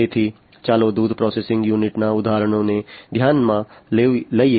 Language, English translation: Gujarati, So, let us consider the example of the milk processing unit, milk packaging unit